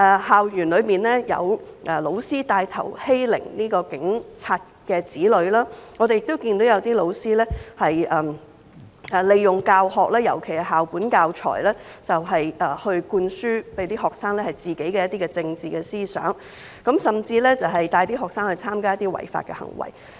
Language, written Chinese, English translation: Cantonese, 校園裏有教師牽頭欺凌警員的子女，我們亦看到有些教師利用教學，尤其是校本教材，向學生灌輸自己的一些政治思想，甚至帶領學生參加一些違法活動。, In schools there were teachers taking the lead to bully the children of police officers . We have also seen some teachers make use of teaching activities and particularly school - based teaching materials to instil their own political ideas into students and even lead them to participate in some illegal activities